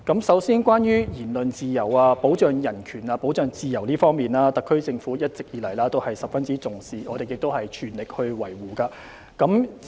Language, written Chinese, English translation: Cantonese, 首先，關於言論自由、保障人權和自由方面，特區政府一直以來也十分重視，亦全力維護。, First of all the HKSAR Government has all along attached great importance to and spared no effort in ensuring freedom of speech and protection of human rights and freedom